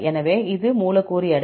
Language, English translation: Tamil, So, this is the molecular weight